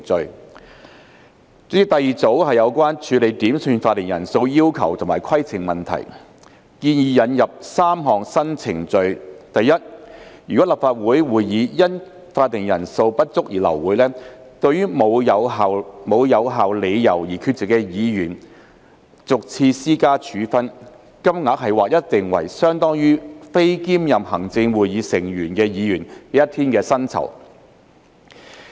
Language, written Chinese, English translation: Cantonese, 代理主席，第二組是有關處理點算法定人數要求及規程問題，建議引入3項新程序：第一，如果立法會會議因法定人數不足而流會，對無有效理由而缺席的議員逐次施加處分，金額劃一定為相當於非兼任行政會議成員的議員一天的酬金。, Deputy President the second group deals with quorum calls and points of order . Three new procedures are proposed to be introduced firstly a penalty shall be imposed each and every time on a Member who is absent without valid reasons from a Council meeting aborted due to a lack of quorum . The penalty will be fixed across the board at an amount equivalent to one days remuneration payable to a Member who does not serve on the Executive Council